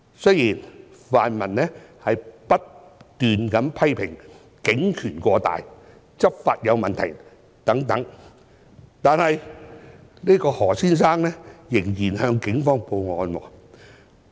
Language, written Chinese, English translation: Cantonese, 雖然泛民不斷批評警權過大、執法有問題等，但何先生仍然向警方報案。, Although the pan - democrats have often criticized the Police for its excessive power and malpractices during law enforcement Mr HO has still reported the case to the Police